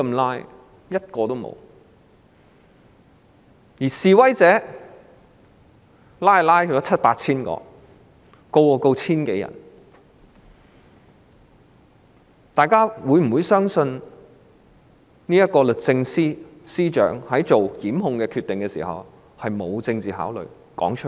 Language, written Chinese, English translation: Cantonese, 然而，七八千名示威者被拘捕 ，1,000 多人被檢控，大家會否相信律政司司長作出檢控決定時，沒有政治考慮？, However 7 000 to 8 000 protesters have been arrested and more than 1 000 people have been prosecuted . Will anyone believe that the Secretary for Justice made prosecution decisions without political considerations?